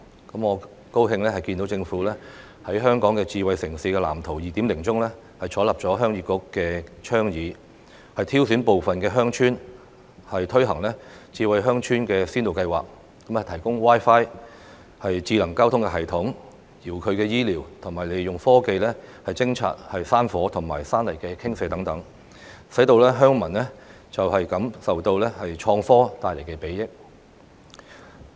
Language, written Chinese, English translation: Cantonese, 我很高興看見政府在《香港智慧城市藍圖 2.0》中採納鄉議局的倡議，挑選部分的鄉村推行智慧鄉村先導計劃，提供 Wi-Fi、智能交通系統、遙距醫療和利用科技偵察山火和山泥傾瀉等，讓鄉民感受到創科帶來的裨益。, I am happy that the Government has adopted the Heung Yee Kuks suggestion in the Smart City Blueprint for Hong Kong 2.0 by implementing Smart Village Pilots in selected villages for the provision of public Wi - Fi services smart traffic system and telehealth services and making use of innovative technology for the early detection of hill fire and landslides . All of these will enable villagers to feel the benefits of innovative technology